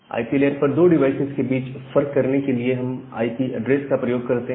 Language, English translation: Hindi, So, to differentiate between two devices at the IP layer, we use this IP address